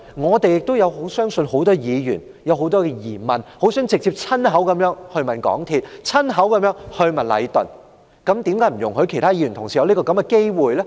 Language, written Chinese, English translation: Cantonese, 事實上，我相信多位議員亦有很多疑問，希望親口直接詢問港鐵公司及禮頓，為何不給予議員這個機會呢？, As a matter of fact I believe Members have many questions that they want to ask MTRCL and Leighton direct . So why do we not give Members the opportunity?